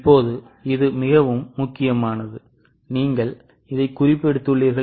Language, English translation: Tamil, Now this is very important, I hope you have noted it